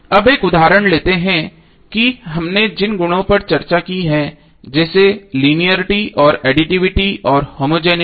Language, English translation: Hindi, Now let us take one example to understand the properties which we discussed like linearity and the additivity and homogeneity